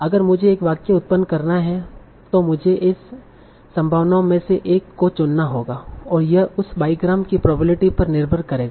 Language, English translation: Hindi, Now if I have to generate a sentence, I have to choose one among these possibilities and this will depend on the probability of that bygram